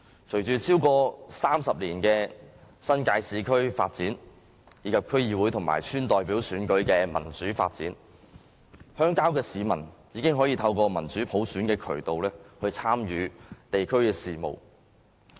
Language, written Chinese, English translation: Cantonese, 經過超過30年的新界市區發展，以及區議會和村代表選舉的民主發展，鄉郊的市民已經可以透過民主普選的渠道參與地區事務。, After over 30 years of urban development in the New Territories and democratic development of DC and Village Representative Elections rural residents can participate in local affairs by means of democratic elections